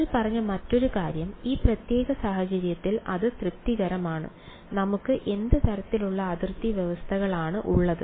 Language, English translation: Malayalam, The other thing that we said is that it satisfied in this particular case, what kind of boundary conditions that we have